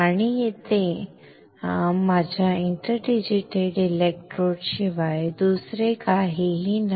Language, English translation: Marathi, And that is nothing but my interdigitated electrodes